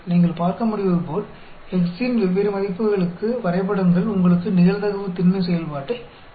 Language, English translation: Tamil, For different a values of x, as you can see, the graphs gives you the probability density function